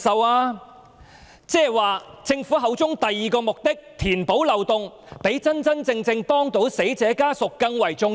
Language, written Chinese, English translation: Cantonese, 換言之，政府口中的第二個目的，即填補漏洞，是否較真真正正協助死者家屬更為重要？, In other words is the second purpose mentioned by the Government ie . plugging the loopholes actually more important than practically assisting the family of the deceased?